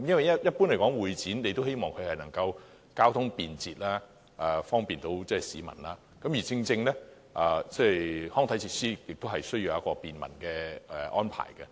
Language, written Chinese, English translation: Cantonese, 一般而言，大家也希望會展場地交通便捷，方便市民，而康體設施同樣需要有便民的安排。, Generally speaking we all hope that CE venues are conveniently accessible by transport and easily accessible to the public and sports and recreational facilities should also provide ease of access